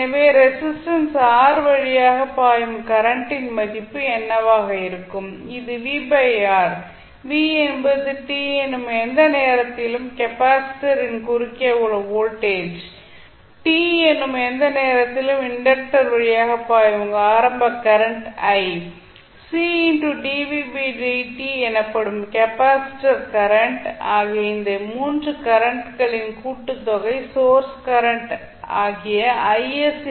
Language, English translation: Tamil, The value of current I s will be divided into 3 circuit elements that is R, L and C so what would be the value of current flowing through resistance R that is V by R, V is nothing but voltage at any t across the capacitor plus i that is the initial we assume that is current i which is flowing through the inductor at any time t plus the capacitor current, capacitor current can be given as C dv by dt and the sum of this 3 currents will be equal to the value of source current that is I s